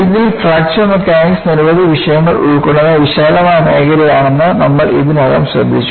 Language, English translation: Malayalam, In this, we have already noticed that Fracture Mechanics is a broad area covering several disciplines